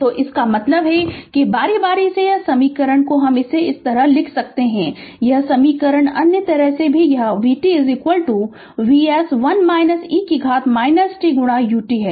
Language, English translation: Hindi, So, that means alternatingly this equation you can write this, this equation other way that it is v t is equal to V s 1 minus e to the power minus t into U t